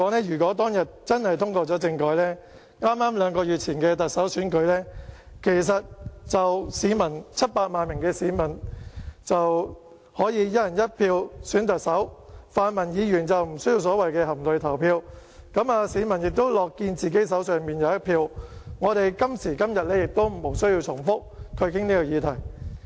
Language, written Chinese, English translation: Cantonese, 如果當天政改通過的話，在剛剛兩個月前的特首選舉中 ，700 萬名市民便可以"一人一票"選特首，泛民議員就不需要所謂的含淚投票，市民亦樂見自己手中有一票，我們今時今日亦不需要重複討論這個議題。, If the proposal on constitutional reform had been passed on that day in the Chief Executive Election two months ago 7 million people could have selected the Chief Executive under a one person one vote system the pan - democratic Members would not have needed to cast their votes in tears the public would have been happy to see a vote in their own hands and it would have been unnecessary for us to discuss this topic again today